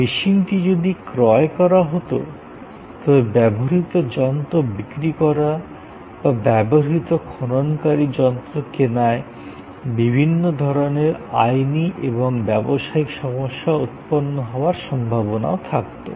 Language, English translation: Bengali, If the machine was purchased, then selling a second hand machine or buying a way second hand excavation machine may post different kinds of legal and business problems